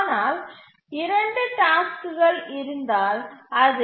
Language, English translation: Tamil, But what if there are two tasks